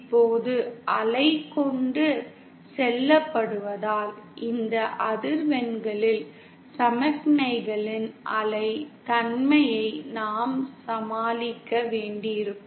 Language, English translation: Tamil, Now because there is wave being transported, at these frequencies, we will have to deal with the wave nature of signals